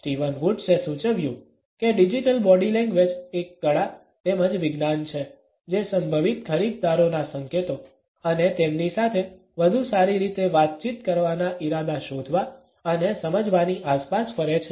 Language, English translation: Gujarati, Steven Woods suggested that digital body language is an art as well as a science which revolves around detecting and understanding prospective buyers signals and intentions to better communicate with them